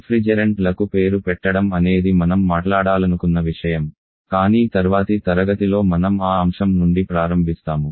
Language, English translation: Telugu, Naming convention of refrigerants is something that I wanted to talk about but in the next class I am starting from that point onwards